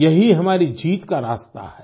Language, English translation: Hindi, This indeed is the path to our victory